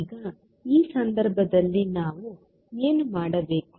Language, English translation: Kannada, Now, in this case what we have to do